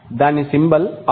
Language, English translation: Telugu, The symbol is R